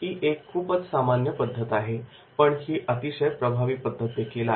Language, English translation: Marathi, This is also a very very common method and very effective method